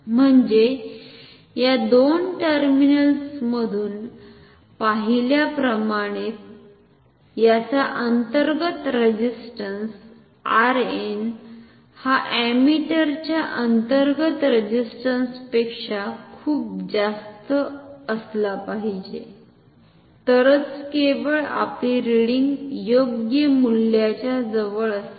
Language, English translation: Marathi, So that means, the internal resistance of so, the internal resistance of this circuit as seen from the terminal A B that is R n should be much higher than the ammeter internal resistance of the ammeter, then only our reading will be close to the correct value